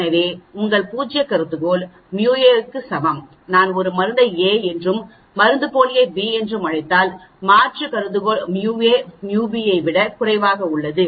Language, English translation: Tamil, So, your hypothesis are null hypothesis is µa equal to µb, if I call a as my drug and my b as my placebo and the alternate hypothesis is µa is less than µb